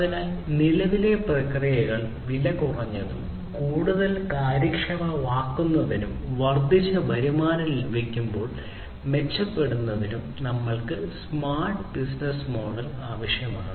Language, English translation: Malayalam, So, we need the smart business model in order to make the current processes less costly, more efficient, and to improve upon the receiving of increased revenue